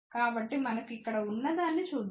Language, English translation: Telugu, So, let us see what we have here